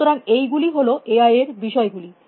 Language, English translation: Bengali, So, these are the topics of AI